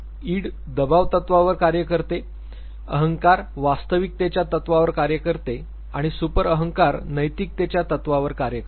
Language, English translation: Marathi, The Id works on the pressure principle, the ego works on reality principle and the super ego works on the morality principle